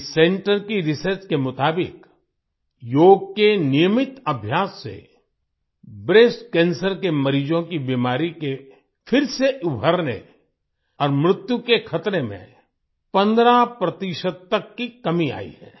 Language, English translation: Hindi, According to the research of this center, regular practice of yoga has reduced the risk of recurrence and death of breast cancer patients by 15 percent